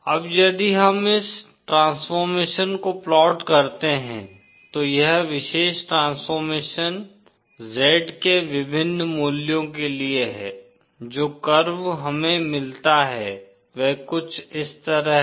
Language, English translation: Hindi, Now, if we plot this transformation, this particular transformation for various values of Z, the curve that we get is something like this